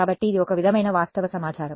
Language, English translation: Telugu, So, this is sort of facts information right